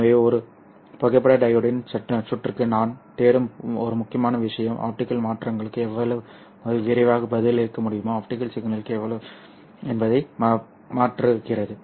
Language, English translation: Tamil, So one of the important things that I am looking for in a photodiod circuit is how fast it can respond to the optical changes, optical power changes, how fast it can respond